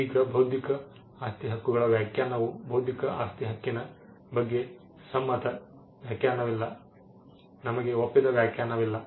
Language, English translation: Kannada, Now definition of intellectual property rights there is no agreed definition of intellectual property right, we do not have an agreed definition